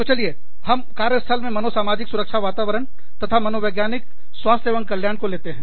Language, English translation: Hindi, So, let us get to the, psychosocial safety climate, and psychological health and well being, in the workplace